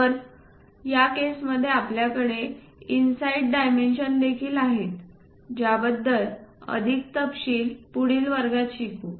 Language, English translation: Marathi, So, in that case we have inside dimension also, more details we will learn about that in the future classes